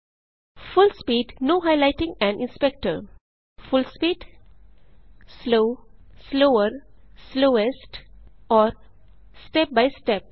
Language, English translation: Hindi, Full speed Full speed, slow, slower, slowest and step by step